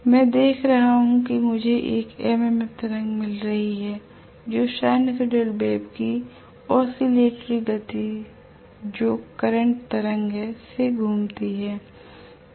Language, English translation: Hindi, I see that I am going to get an MMF wave which will keep on rotating at the same speed as that of the oscillatory speed of the sinusoidal wave which is the current wave